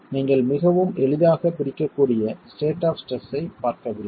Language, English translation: Tamil, So, you are not looking at a state of stress that is very easy to capture